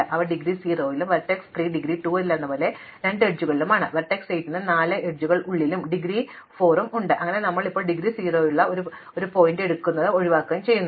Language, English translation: Malayalam, So, they have indegree 0, vertex 3 has 2 edges coming in so it has indegree 2, vertex 8 has 4 edges coming in so it has indegree 4 and so on, now we have to pick a vertex of indegree 0 enumerate it and eliminate it